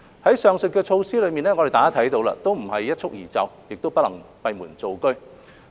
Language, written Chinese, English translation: Cantonese, 大家看到上述的措施都不是一蹴而就，亦不能閉門造車。, We can see that the aforesaid measures cannot be done overnight or behind closed doors